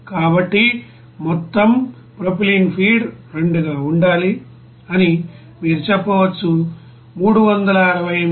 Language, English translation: Telugu, So you can say that benzene to be feed total propylene required into 2 that will be to is equal to here 368